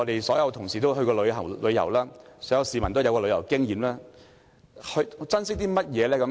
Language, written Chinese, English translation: Cantonese, 所有同事均曾出外旅遊，很多香港市民也有旅遊經驗，大家珍惜甚麼呢？, All Members must have travelled abroad before . So do many Hong Kong people . What do we cherish?